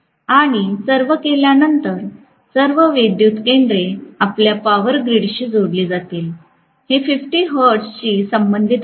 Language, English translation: Marathi, And after all, all the power stations are going to be connected to our power grid, which corresponds to 50 hertz